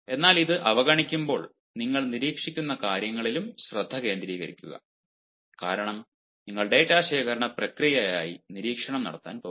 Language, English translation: Malayalam, but then, while ignoring this, also concentrate on what you are observing, because you are going to make observation as a process of data collection